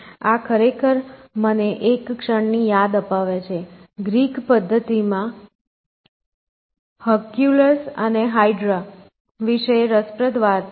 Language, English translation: Gujarati, So, this actually reminds me of this in a moment, green this interesting story about Hercules and hydra in Greek methodology